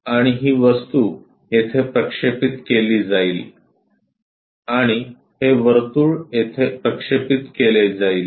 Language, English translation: Marathi, And this object will be projected here and this circle will be projected here